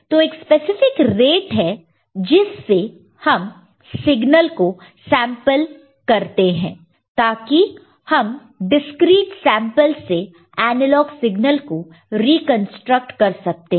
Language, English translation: Hindi, So, there is a specific way, specific rate by which it needs to be sampled, so that we can reconstruct the analog signal from the discreet samples